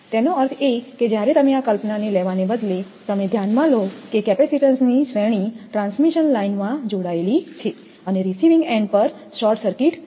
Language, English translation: Gujarati, That means, when you rather than taking this conception you consider that it is a series of capacitance in a transmission line connected and short circuited at the your receiving end and the shunt capacitance are also there